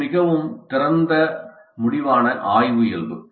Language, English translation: Tamil, So, it is a more open ended exploratory nature